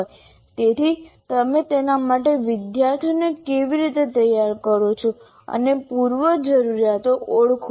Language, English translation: Gujarati, So how do you kind of prepare the student for that, the prerequisites for that